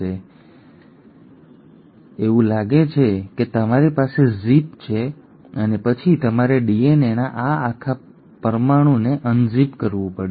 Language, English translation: Gujarati, So it is like you have a zip and then you have to unzip this entire molecule of DNA